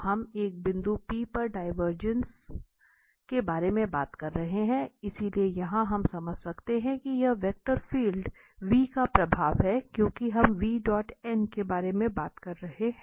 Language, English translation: Hindi, So, that is actually we are talking about the divergence at a point P, well, so, here we can understand this that is the flux of the vector field v out of a small close surface because we are talking about this v dot n